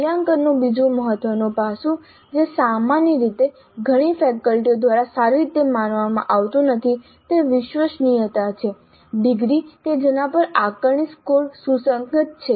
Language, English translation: Gujarati, The second important aspect of assessment which generally is not considered well by many faculty is reliability, degree to which the assessments course are consistent